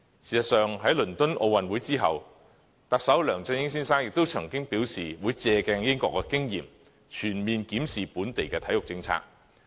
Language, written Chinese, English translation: Cantonese, 事實上，在倫敦奧運會之後，特首梁振英先生亦曾經表示會借鏡英國的經驗，全面檢視本地的體育政策。, As a matter of fact Chief Executive LEUNG Chun - ying has vowed after the London Olympic Games to conduct a full - scale review of local sports policy with reference to the experience drawn upon the United Kingdom